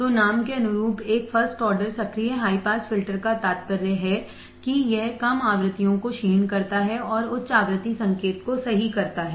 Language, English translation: Hindi, So, a first order active high pass filter as the name implies attenuates low frequencies and passes high frequency signal correct